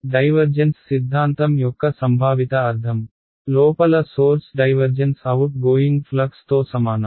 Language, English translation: Telugu, That is the conceptual meaning of divergence theorem, divergence of sources inside is equal to outgoing flux